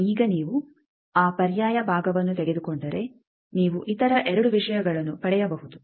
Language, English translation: Kannada, Now, if you take that alternate part you can get 2 other things